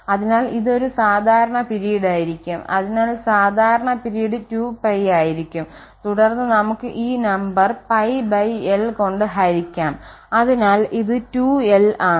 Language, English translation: Malayalam, So, that is going to be the common period, so common period will be 2 pi and then we have to divide by this pi by l number this number pi by l so the 2l